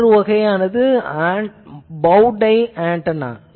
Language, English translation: Tamil, Another option is bowtie antenna